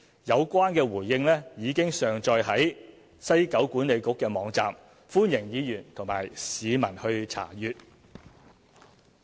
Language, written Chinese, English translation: Cantonese, 有關回應已經上載西九管理局網站，歡迎議員及市民查閱。, The response had been uploaded onto the website of WKCDA for reference by Members and the public